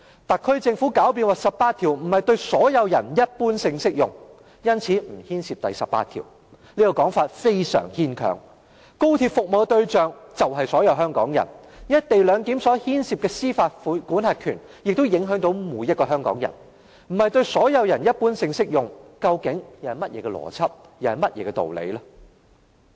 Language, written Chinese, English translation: Cantonese, 特區政府狡辯說第十八條並非對"所有人一般性適用"，因此不牽涉第十八條，這說法非常牽強，高鐵的服務對象就是所有香港人，"一地兩檢"所牽涉的司法管轄權亦影響到每一個香港人，如果不是對"所有人一般性適用"，那究竟是甚麼邏輯、甚麼道理？, Such an argument is far - fetched . As XRL mainly serves the people of Hong Kong the jurisdiction under the co - location arrangement will affect all members of the public . If Article 18 is not for the general application to all persons what kind of logic is that and what kind of principle is that?